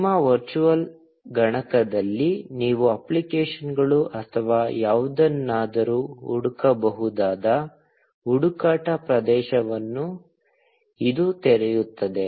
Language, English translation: Kannada, This will open a search area where you can search for applications, or anything, in your virtual machine